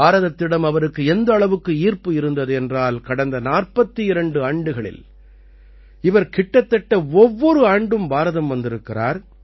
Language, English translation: Tamil, He has so much affection for India, that in the last 42 forty two years he has come to India almost every year